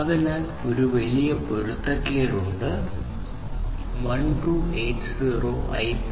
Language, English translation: Malayalam, So, now, you see that there is a big mismatch one 1280 is permitted by IPv6 and 802